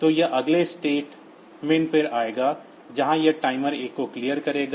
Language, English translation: Hindi, So, it will come to the next statement where it will clear the timer 1